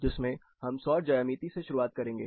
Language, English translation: Hindi, Here we will start with Solar Geometry